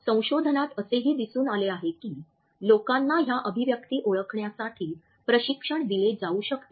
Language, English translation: Marathi, Research has also shown that people can be trained to identify these expressions relatively